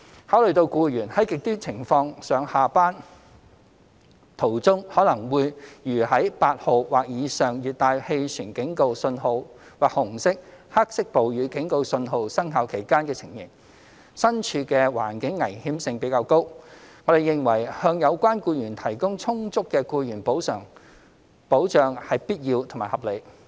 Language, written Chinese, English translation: Cantonese, 考慮到僱員在"極端情況"下上下班途中可能會如在8號或以上熱帶氣旋警告訊號或紅色/黑色暴雨警告訊號生效期間的情形，身處的環境危險性比較高，我們認為向有關僱員提供充足的僱員補償保障是必要和合理。, Having considered that employees commuting to or from work during extreme conditions can be subject to more dangerous circumstances similar to those under T8 or above or the Red or Black Rainstorm Warning we consider it necessary and justified to accord adequate employees compensation protection to them